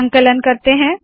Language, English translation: Hindi, We compile it